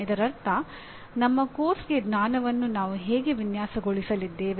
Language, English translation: Kannada, That means for our course, this is the way we are going to design what is knowledge